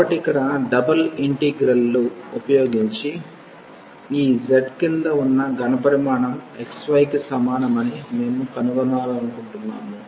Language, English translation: Telugu, So, here the using the double integrals, we want to find the volume of the solid below this z is equal to x y